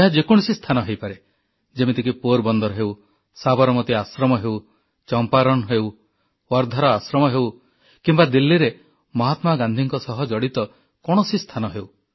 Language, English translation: Odia, It could be any site… such as Porbandar, Sabarmati Ashram, Champaran, the Ashram at Wardha or spots in Delhi related to Mahatma Gandhi